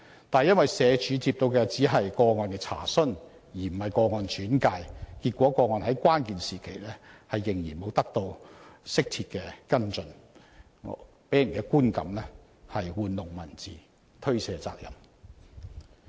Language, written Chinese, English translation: Cantonese, 但社署解釋，因接獲的只是個案"查詢"而非個案"轉介"，結果個案在關鍵時期仍然沒有得到適切跟進，予人觀感是社署玩弄文字，推卸責任。, However SWD explained that as a case enquiry not a case referral was received the outcome was that the case was not given appropriate follow - up at the critical time . It gives people the impression that SWD just played with words and evaded responsibility